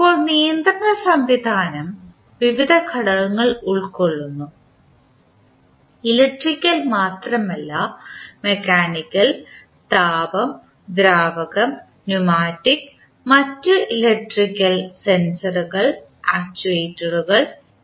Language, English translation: Malayalam, Now, the control system may be composed of various components, not only the electrical but also mechanical, thermal, fluid, pneumatic and other electrical sensors and actuators as well